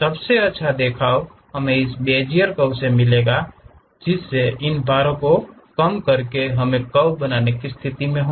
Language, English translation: Hindi, The best representation is to go with this Bezier representation, where by minimizing these weights we will be in a position to construct a curve